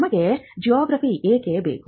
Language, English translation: Kannada, Now, why do we need GI